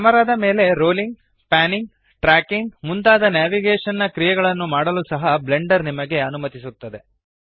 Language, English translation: Kannada, Blender also allows you to perform a few navigational actions on the camera, such as rolling, panning, tracking etc